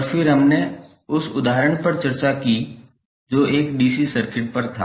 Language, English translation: Hindi, And then we discussed the example which was essentially a DC circuit